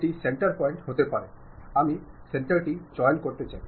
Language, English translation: Bengali, This might be the center point, I would like to pick pick center